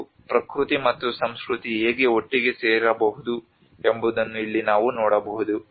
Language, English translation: Kannada, And here we can see that how the nature and culture can come together